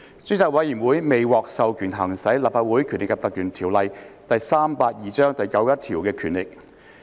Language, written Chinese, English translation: Cantonese, 專責委員會未獲授權行使《立法會條例》第91條的權力。, The Select Committee was not authorized to exercise the powers under section 91 of the Legislative Council Ordinance Cap